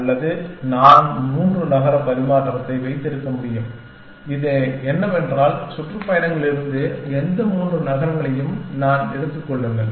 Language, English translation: Tamil, Or I can have 3 city exchange, what this says is that, takeout any three cities from the tours